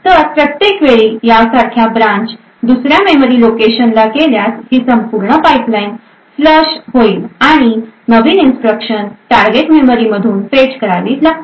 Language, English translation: Marathi, So, every time there is a branch like this to another memory location, this entire pipeline would get flushed and new instructions would need to be fetched from the target memory